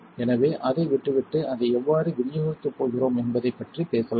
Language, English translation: Tamil, So, with that out of the way let us talk about how we are going to dispense it